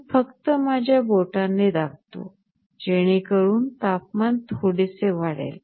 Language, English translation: Marathi, I am just pressing with my finger, so that the temperature increases that little bit